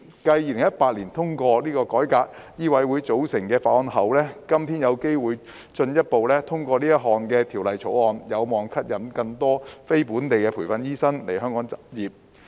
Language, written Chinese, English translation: Cantonese, 繼在2018年通過改革醫委會組成的法案後，今天有機會進一步通過《條例草案》，有望吸引更多非本地培訓醫生來港執業。, Following the passage of the bill to reform the composition of MCHK in 2018 we have the opportunity to take a further step to pass the Bill today . It is expected that more NLTDs will be attracted to practise in Hong Kong